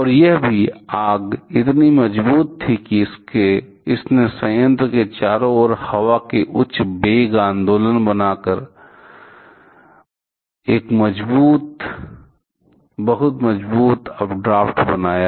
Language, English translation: Hindi, And also, fire was so strong that it created a very strong updraft there by creating a high velocity movement of air around the plant